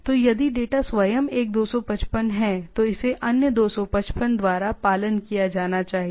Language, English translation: Hindi, So, if the data itself is a 255, then it should be followed by another 255